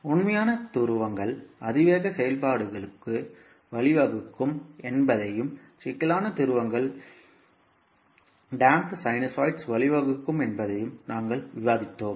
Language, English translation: Tamil, And then we also discussed that real poles lead to exponential functions and complex poles leads to damped sinusoids